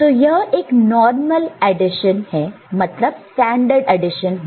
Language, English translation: Hindi, So, it will be a normal addition, standard addition